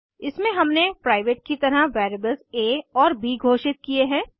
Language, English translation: Hindi, In this we have declared variables a and b as private